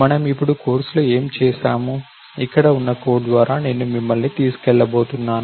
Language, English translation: Telugu, So, what did we do in the course now, let we I am going to take you through the code that we have here